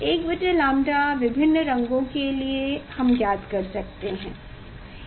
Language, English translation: Hindi, 1 by lambda for different cross we will find out